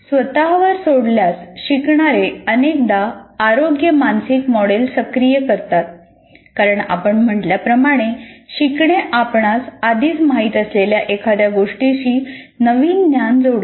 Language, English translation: Marathi, When left on their own learners often activate an inappropriate mental model because as we said, the learning constitutes somehow connecting the new knowledge to something that you already know